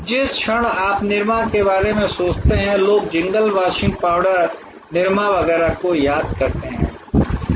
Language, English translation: Hindi, The moment you think of nirma, people remember the jingle washing powder nirma and so on